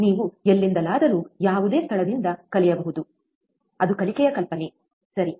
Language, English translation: Kannada, You can learn from anywhere, any place, that is the idea of the learning, right